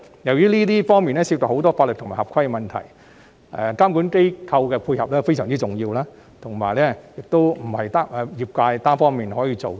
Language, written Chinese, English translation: Cantonese, 由於這方面涉及很多法律及合規的問題，監管機構的配合非常重要，並非業界單方面可以做到。, Given that the proposal involves many legal and compliance issues support from regulatory bodies is very important for they cannot be dealt with by the industry alone